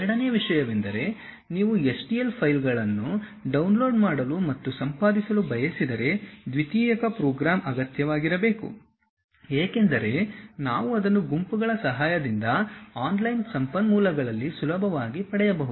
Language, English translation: Kannada, And second thing, if you wish to download and edit STL files a secondary program must be required as we can easily get it on online resources with the help from groups